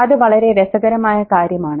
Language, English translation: Malayalam, And that's very interesting